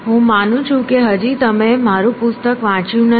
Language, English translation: Gujarati, I take it you are not been reading my book yet